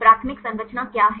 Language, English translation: Hindi, What is primary structure